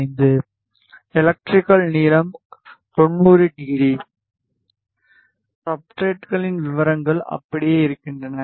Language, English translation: Tamil, 75, electrical length is 90 degree; substrates details remain the same